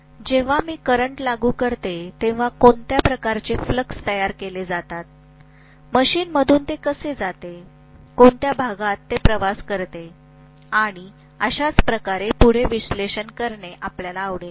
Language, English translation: Marathi, And when I apply a current, what is the kind of fluxes produced, how exactly it passes through the machine, in what part it travels and so on and so forth we would like to analyze